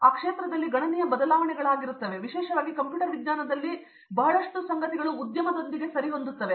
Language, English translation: Kannada, So, there is big change in field and lot of things especially in computer science is with the industry